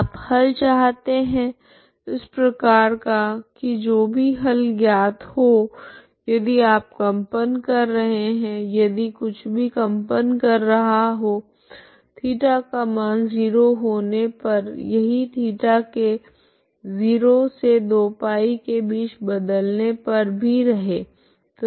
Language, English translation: Hindi, You look for solutions like that whatever solution is known if you are vibrating if whatever is the vibration along at theta equal to 0 it is repeated all along theta between 0 to 2 π